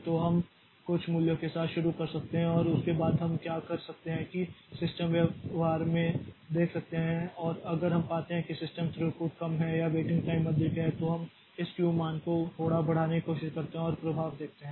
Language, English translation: Hindi, So, we can start with some value and after that what we can do we can look into the system behavior and if we find that the system throughput is low or our waiting time is high then we try to increase this Q value a bit and see the effect